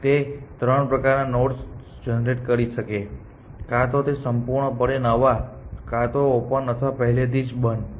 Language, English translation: Gujarati, It can generate three different kinds of nodes either they are completely new or they are already on opened or they are on closed essentially